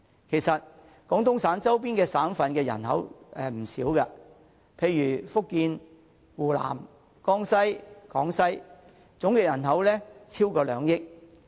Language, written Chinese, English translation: Cantonese, 其實，廣東省周邊省份的人口並不少，例如福建、湖南、江西和廣西的總人口便超過兩億人。, In fact the population in the provinces near Guangdong Province is sizable . The total population of Fujian Hunan Jiangxi and Guangxi for example is more than 200 million